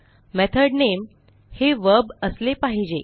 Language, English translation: Marathi, Also the method name should be a verb